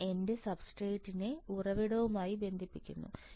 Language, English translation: Malayalam, And I am connecting my substrate to the source